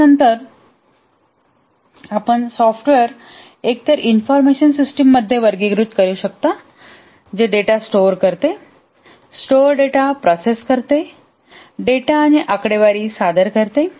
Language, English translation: Marathi, But then you can also classify the software into either information systems which store data, process the stored data, present the data and statistics